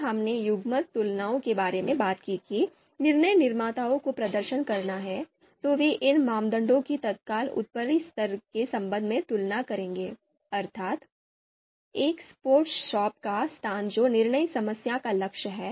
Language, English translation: Hindi, So these criteria when we talked about pairwise comparisons you know that decision makers have to perform, so they would be comparing these criteria with respect to the immediate upper level that is location of a sports shop that is the goal of the decision problem